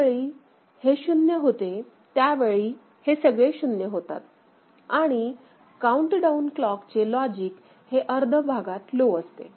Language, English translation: Marathi, So, when it goes to 0; that means, all of them are 0 and countdown clock is at logic low in the second half of the clock cycle